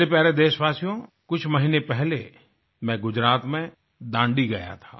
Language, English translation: Hindi, My dear countrymen, a few months ago, I was in Dandi